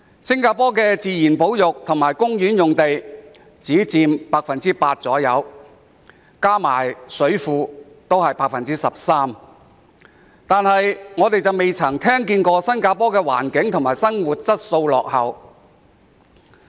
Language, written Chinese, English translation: Cantonese, 新加坡的自然保育及公園用地只佔約 8%， 加上水庫也只佔約 13%， 但我們從未聽見新加坡環境及生活質素落後。, While Singapores nature reserves and parks only account for about 8 % of the total land area adding only about 13 % of reservoirs we have never heard that Singapore is lagging behind in environment and living quality